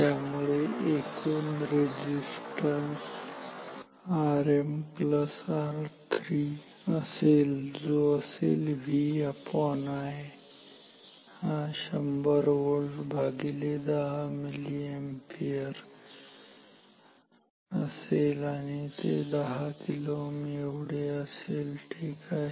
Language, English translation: Marathi, So, therefore, the total resistance R m plus R 3, this should be this V by I, 100 volt by 10 milliampere and this will come out to be 10 kilo ohm ok